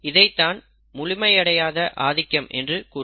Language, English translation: Tamil, And this is an example of incomplete dominance